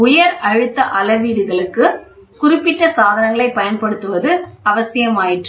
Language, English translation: Tamil, High pressure measurements necessitate the use of specific devices